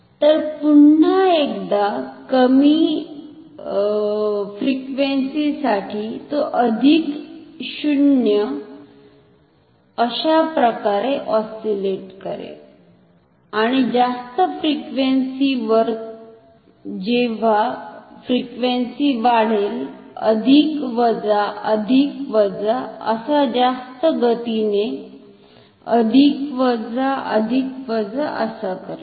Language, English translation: Marathi, So, once again for low frequency it will oscillate plus 0 like that and at high frequency as frequency increases plus minus plus minus plus minus very fast plus minus plus minus plus minus only a vibration and then no movement at all